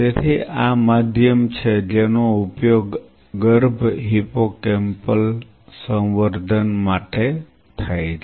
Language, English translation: Gujarati, So, this is the medium which is used for embryonic or sorry, fetal hippocampal culture